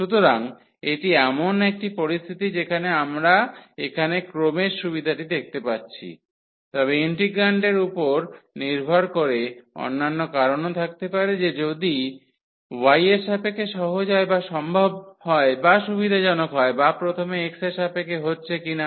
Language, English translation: Bengali, So, this is one a situation where we can see the convenience of the order here, but there will be other reasons depending on the integrand that which integral whether with respect to y is easier or possible or convenient or with respect to x first